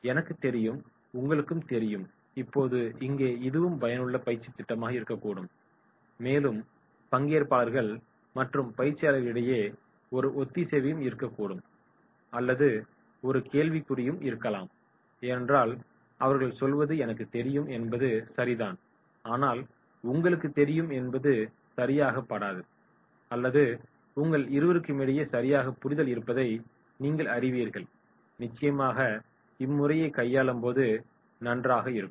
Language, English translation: Tamil, “I know and you know” now here it can be effective training program right and there can be the cohesiveness or it can be a question mark also because what he says is I know is right and you know that is not right or that is I know you know both are having proper understanding then definitely this will work and that will be good